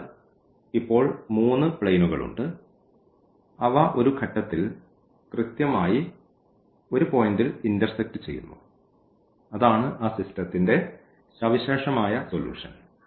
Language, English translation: Malayalam, So, there are 3 planes now and they intersect exactly at one point; these 3 planes and that is the solution that unique solution of that system